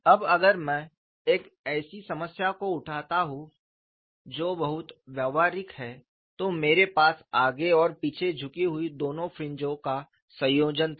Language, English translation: Hindi, Now, if I take up a problem which is particle I had a combination of both forward and backward tilted fringes